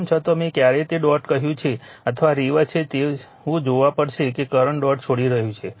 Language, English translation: Gujarati, Even though either of the I told you either that dot or you reverse the you have to see that current is leaving right the dot